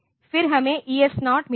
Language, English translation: Hindi, Then we have got ES0